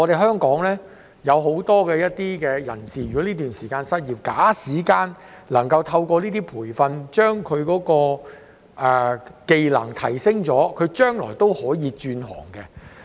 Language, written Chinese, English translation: Cantonese, 香港有很多人在這段時間失業，假使能夠透過這些培訓，將他的技能提升，將來便可以轉行。, Many people in Hong Kong have lost their jobs during this period of time . If they can upgrade their skills through these training programmes they will be able to switch occupations in the future